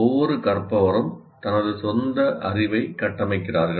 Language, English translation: Tamil, We are constructing each learner is constructing his own knowledge